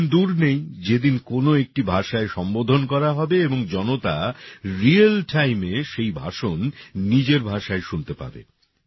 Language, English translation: Bengali, The day is not far when an address will be delivered in one language and the public will listen to the same speech in their own language in real time